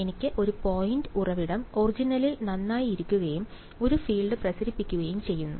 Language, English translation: Malayalam, I have a point source sitting at the origin alright and radiating a field